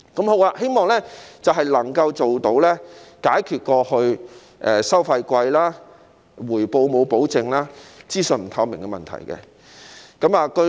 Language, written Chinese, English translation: Cantonese, 我希望能夠解決過去收費貴、回報沒有保證、資訊不透明的問題。, I hope that the past problems of the high fees lack of guarantee of returns and lack of information transparency can be solved